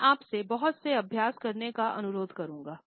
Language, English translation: Hindi, I will request you to practice a lot